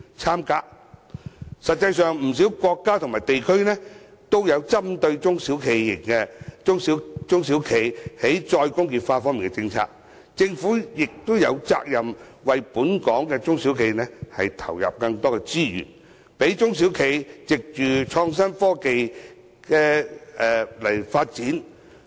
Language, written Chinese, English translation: Cantonese, 事實上，不少國家和地區均有針對中小企"再工業化"的政策，政府有責任為本港的中小企投入更多資源，讓中小企藉創新科技進行發展。, Actually many countries and regions have formulated policies on the re - industrialization of SMEs . The Government is duty - bound to put in more resources for local SMEs to develop through IT